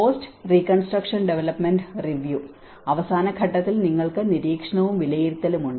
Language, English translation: Malayalam, And the last phase of post reconstruction development review and you have the monitoring and evaluation